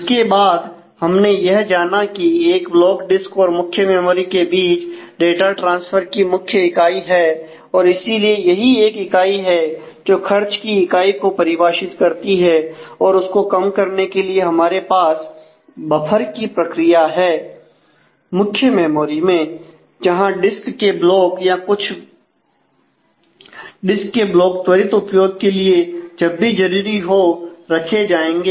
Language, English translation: Hindi, And then noted that block happens to be the major unit of data transfer between the disk and the main memory and therefore, that is the unit of defining unit of cost that we have to incur, and to minimize that we have a buffering strategy in the main memory, where the disk blocks will be kept a few disk blocks will be kept for quick use whenever required